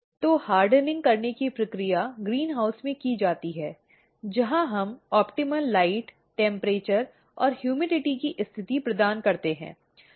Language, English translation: Hindi, So, the process of hardening is carried out in the greenhouse where we provide the optimal light, temperature and humidity condition